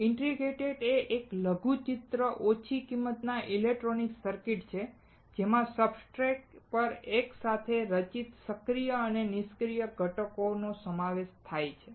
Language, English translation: Gujarati, An integrated circuit is a miniaturized low cost electronic circuit consisting of active and passive components fabricated together on a substrate